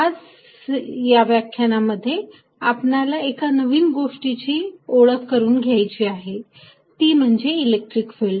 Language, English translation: Marathi, In today's lecture, we want to introduce a new idea called the electric field